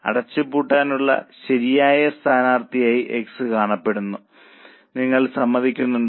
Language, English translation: Malayalam, So, X appears to be a proper candidate for closure